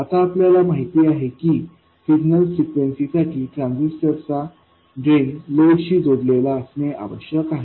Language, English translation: Marathi, Now we know that the drain of the transistor must be connected to the load for signal frequencies